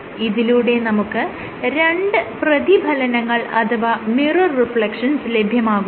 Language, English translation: Malayalam, So, you do two mirror images; mirror reflections